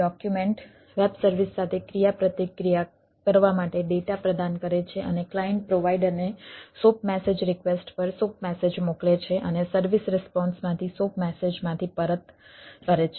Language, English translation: Gujarati, wsdl provides data to interact with the web services and client send soap message to the soap message request to the provider and service returns from the soap message, from the response